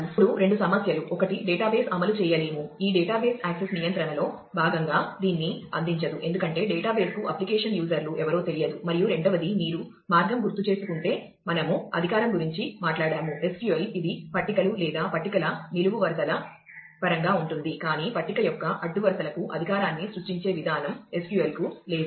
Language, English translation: Telugu, Now, two issues are one is the database cannot implement, this database cannot provide this as a part of access control because, database has no idea about who the application users are, and the second if you recall the way, we talked about authorization in SQL, that is in terms of tables or columns of the tables, but SQL has no mechanism to create authorization for rows of the table